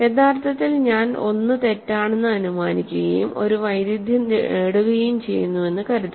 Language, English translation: Malayalam, So, suppose so actually I am going to assume that 1 is false and get a contradiction